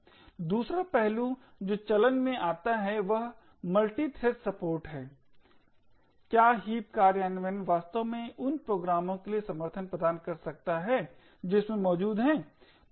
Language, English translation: Hindi, The other aspect that comes into play is the multithreaded support, can the heap implementation actually provide support for programs which have multithreading present in it